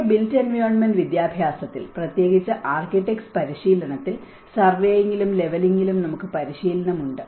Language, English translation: Malayalam, In our built environment education, especially in the architects training, we do have training on the surveying and leveling